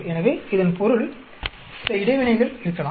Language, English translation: Tamil, So that means, there might be some interactions